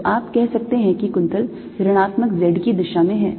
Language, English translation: Hindi, that curl is in the negative z direction